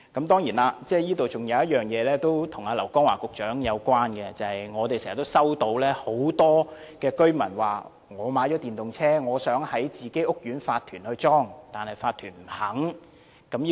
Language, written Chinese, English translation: Cantonese, 當然，還有一點是跟劉江華局長有關的，就是經常有很多居民告訴我們，他們買了電動車，想在自己屋苑安裝充電站，但法團不允許這樣做。, Of course there is one aspect related to Secretary LAU Kong - wah . As many residents told me they have bought electric vehicles and want to install charging stations in their respective housing estates but their requests are rejected by the owners corporations